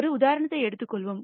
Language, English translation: Tamil, Let us take an example